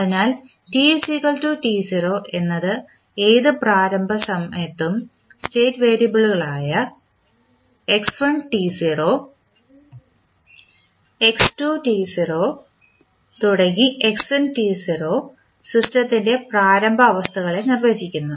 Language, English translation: Malayalam, So, at any initial time that t equal to 0 the state variables that x1t naught or x2t naught define the initial states of the system